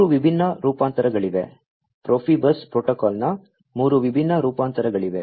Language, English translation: Kannada, There are three different variants, three different variants of Profibus protocol